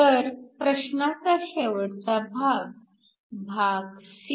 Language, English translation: Marathi, So, the last part of the question part c